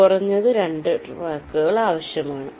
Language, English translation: Malayalam, you need minimum two tracks